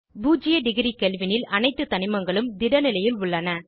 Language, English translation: Tamil, At zero degree Kelvin all the elements are in solid state